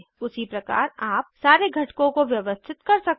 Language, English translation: Hindi, Similarly you can arrange all the components